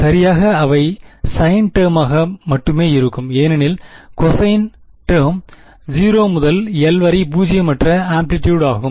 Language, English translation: Tamil, Exactly they will only be sine terms because cosine terms will have non zero amplitude at 0 and l